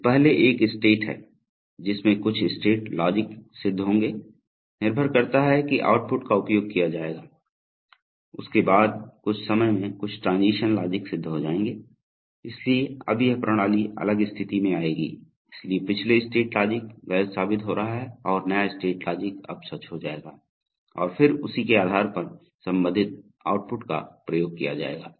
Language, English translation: Hindi, So first there is a state in which some state logic will be satisfied, depending on that outputs will be exercised, after that at some time some transition logic will get satisfied, so now the system will come to a different state so the previous state logic is going to be falsified and the new state logic will now become true and then based on that the corresponding outputs will get exercised